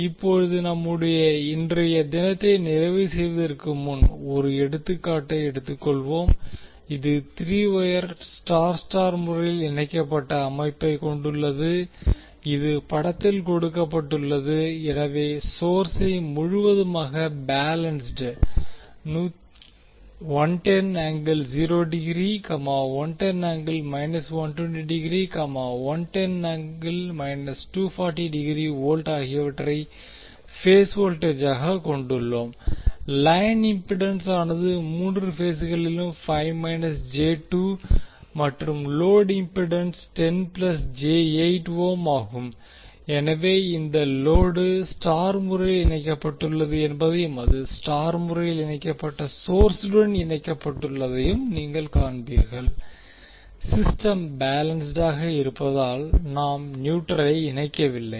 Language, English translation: Tamil, Now let us take one example before closing our today’s we have three wire star star connected system which is given in the figure so we have source completely balanced 110 angle 0 degree 110 minus 120, 110 minus 240 degree volt as the phase voltages line impedance is five angle five minus J2 in all the three phases and load impedance is 10 plus J8 ohm, so you will see that this load is also star connected and it is connected to the start connected source we have we are not connecting the neutral because system is balanced